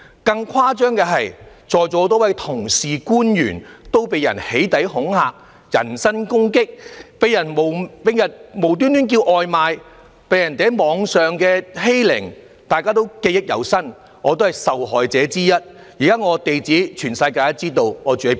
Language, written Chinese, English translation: Cantonese, 更誇張的是，在座有多位同事和官員被人"起底"恐嚇、人身攻擊，被人冒名叫外賣，又被人在網上欺凌，對此大家也記憶猶新，而我也是受害者之一，現時全世界也知道我的地址。, What was even more shocking is that many Members and public officers here have been doxxed impersonated for placing takeaway orders and subject to personal attacks and online bullying . I believe Members still vividly remember these experiences and I was also one of the victims . Everyone in the world knows my address now